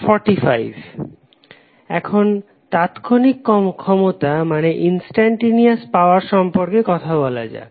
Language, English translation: Bengali, Now, let us talk about the Instantaneous power